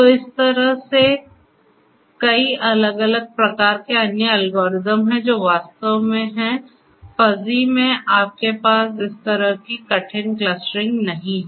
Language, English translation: Hindi, So, like this there are many many different types of other algorithms that are also there in fuzzy actually what is happening is you do not have hard clustering like this